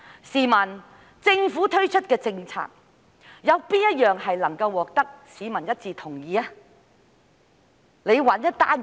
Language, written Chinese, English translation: Cantonese, 試問政府推出的哪項政策能夠獲得市民一致同意，請他們找出一項告訴我。, I wonder which policy introduced by the Government has the unanimous consent of the public . Please find one and tell me